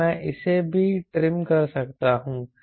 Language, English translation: Hindi, now i can trim it